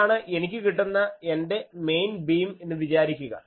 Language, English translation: Malayalam, Suppose, this is my main beam, I am getting